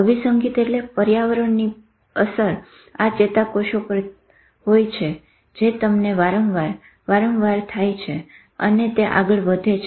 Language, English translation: Gujarati, Conditioning means environment has worked on this neuron to train them again and again and again and again and that has passed on